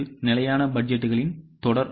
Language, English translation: Tamil, It is a series of static budgets